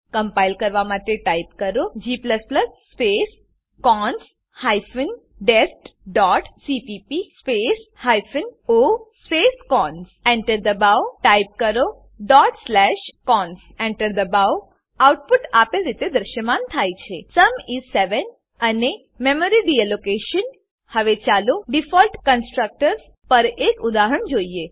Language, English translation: Gujarati, To compile type, g++ space cons hyphen dest dot cpp space hyphen o space cons Press Enter Type dot slash cons Press Enter The output is displayed as Sum is 7 and Memory Deallocation Now let us see an example on Default constructors